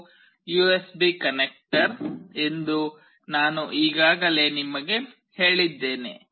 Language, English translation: Kannada, As I have already told you that this is the USB connector